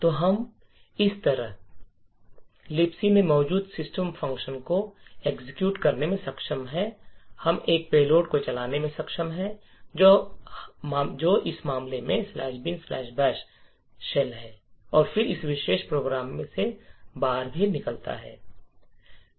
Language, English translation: Hindi, So, in this way we are able to subvert execution to the system function present in LibC we are able to run a payload which in this case is the slash bin slash bash shell and then also exit from this particular program